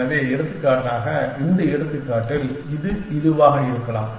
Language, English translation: Tamil, So, in this example for example, it could be this one